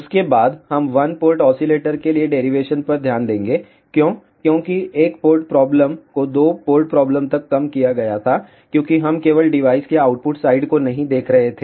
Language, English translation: Hindi, After that we will looked at the derivation for one port oscillator why, because a two port problem was reduced to a one port problem, because we were not looking at only at the output side of the device